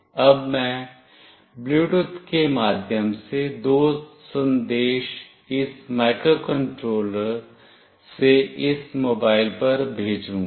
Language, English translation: Hindi, Now, I will send two messages through Bluetooth from this microcontroller to this mobile